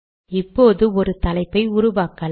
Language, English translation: Tamil, Let us now create a caption